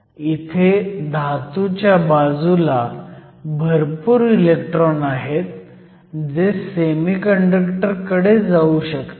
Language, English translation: Marathi, We have a large number of electrons in the metal side, these electrons can move to the semiconductor